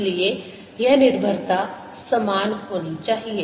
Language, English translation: Hindi, so this dependence has to be the same